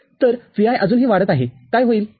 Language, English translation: Marathi, So, Vi is still getting increased what will happen